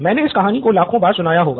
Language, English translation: Hindi, I must have said this a million times